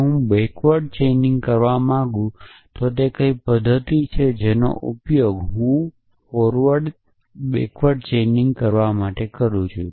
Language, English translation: Gujarati, If I want to do backward chaining what is the mechanism that I have been used to do backward chaining